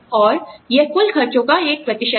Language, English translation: Hindi, And, that is a percentage of the total expenses incurred